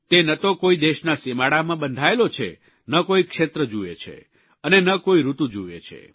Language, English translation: Gujarati, It is not confined to any nation's borders, nor does it make distinction of region or season